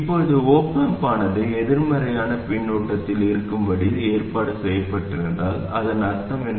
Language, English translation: Tamil, Now what it means is if the op amp is arranged to be in negative feedback, what does that mean